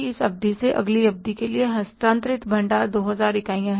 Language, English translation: Hindi, From this period to next period, the stock transferred is 2,000 units